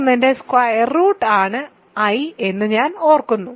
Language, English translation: Malayalam, So, i remember is the square root of is the square root of minus 1